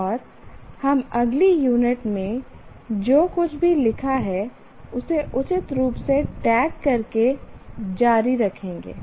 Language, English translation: Hindi, And we will continue whatever you have written in the next unit by tagging them appropriately